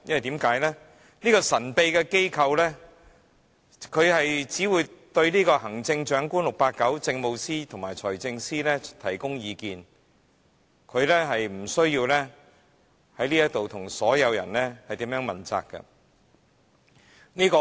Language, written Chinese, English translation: Cantonese, 這個神秘機構只會對 "689" 行政長官、政務司司長及財政司司長提供意見，無須在立法會向所有市民問責。, This secret agency gives advice to Chief Executive 689 the Chief Secretary for Administration and the Financial Secretary only . It does not need to hold itself accountable to the public in the Legislative Council